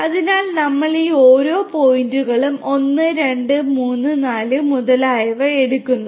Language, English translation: Malayalam, So, then what we do we take each of these points 1 2 3 4 etc